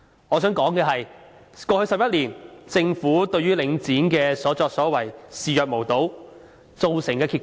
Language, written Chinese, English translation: Cantonese, 我想指出，過去11年，政府對於領展的所作所為視若無睹，造成甚麼結果呢？, The grass - roots people have no choice but to be ripped off . I wish to point out that in the past 11 years the Government has turned a blind eye to the blatant acts of Link REIT . What is the consequence?